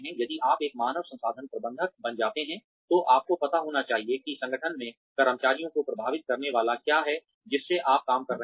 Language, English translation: Hindi, If you become a human resources manager, you should know, what is going to affect the employees in the organization, that you are working in